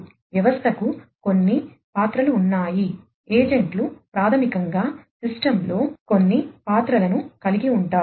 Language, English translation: Telugu, So, the system has certain roles, the agents basically will have certain roles on the system, in the system rather